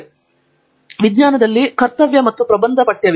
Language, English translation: Kannada, So, therefore, there is a duty and essay text in science